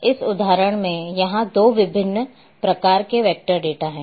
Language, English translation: Hindi, And here in this example 2 different types of vector data are there